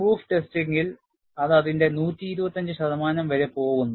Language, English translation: Malayalam, In proof testing, they go up to 125 percent of it; this is the field observation